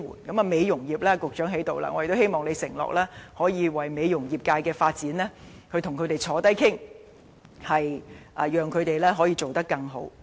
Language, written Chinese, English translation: Cantonese, 在美容業方面，局長已經在席，我希望他能夠承諾與美容業人士討論業界發展，讓行業發展得更好。, Regarding the beauty care trade as the Secretary is present now I hope he can undertake to discuss with trade practitioners about enhancing the trades development in the future